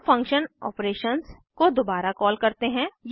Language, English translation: Hindi, Again we call function operations